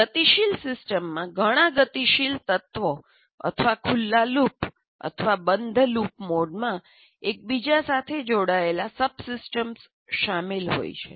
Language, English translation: Gujarati, And a dynamic system consists of several dynamic elements or subsystems interconnected in open loop or closed loop mode